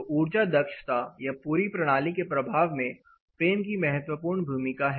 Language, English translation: Hindi, So, frame has a crucial role in the effect of the energy efficiency you know impact of the overall system